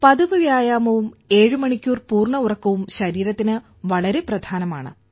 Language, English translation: Malayalam, Regular exercise and full sleep of 7 hours is very important for the body and helps in staying fit